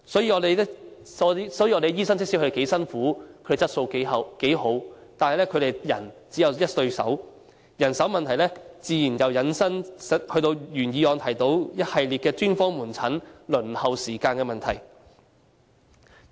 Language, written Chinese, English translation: Cantonese, 即使醫生工作得多辛苦，質素有多高，但他們只有一雙手，人手問題自然引申到原議案提及的一連串專科門診輪候時間的問題。, No matter how hard the doctors work and how high the quality of their work is each of them has only two hands . The manpower problem has certainly led to the series of problems related to the waiting time for specialist outpatient services